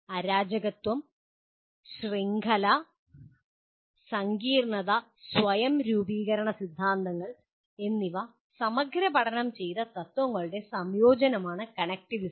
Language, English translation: Malayalam, Connectivism is the integration of principles explored by chaos, network and complexity and self organization theories